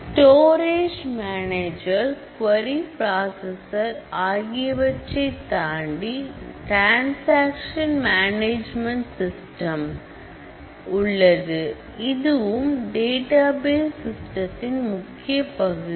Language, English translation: Tamil, So, beyond the storage manager and the query processor we have a transaction management system, which is very critical and core of the database system